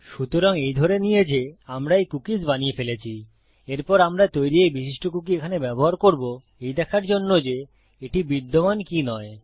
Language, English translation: Bengali, So assuming that we have created these cookies, the next thing Ill do is use this specific cookie here that I have created, to check whether it does exist or not